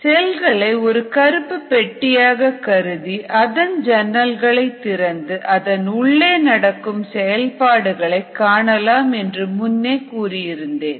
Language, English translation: Tamil, now we said we will first consider it is a black box, the cell, and then we will open up windows and look through the windows to see what is happening inside the cell